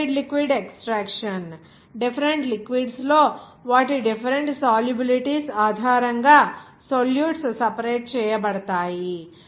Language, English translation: Telugu, Or liquid liquid extraction, salutes are separated based on their different solubilities in different liquids